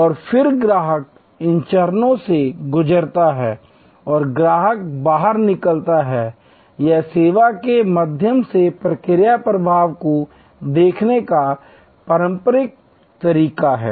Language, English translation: Hindi, And then, the customer goes through these stages and customer exits, this is the traditional way of looking at process flow through the service